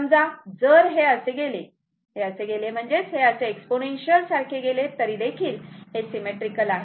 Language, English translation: Marathi, Suppose, if it is goes like this, if it is goes like this, if it is goes like this it is goes like this right some exponential thing this is also symmetrical right